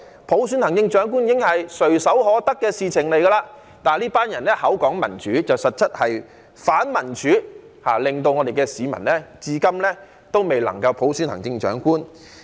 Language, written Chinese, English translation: Cantonese, 普選行政長官本來已經是垂手可得的事情，但是這群人口裏說民主，實質是反民主，令市民至今未能夠普選行政長官。, The election of the Chief Executive by universal suffrage should have been something within our easy reach but this gang of people keep talking about democracy while they are actually anti - democracy such that the people have not been able to elect the Chief Executive by universal suffrage up to the present